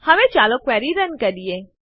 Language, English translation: Gujarati, Now let us run the query